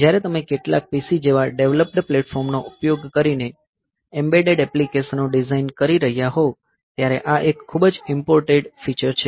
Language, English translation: Gujarati, So, this is very important feature when you are designing embedded application, using this, using some development platform like some PC